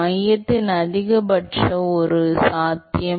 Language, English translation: Tamil, Maximum at the center that is one possibility